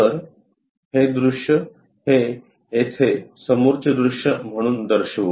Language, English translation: Marathi, So, that view we will show it here as front view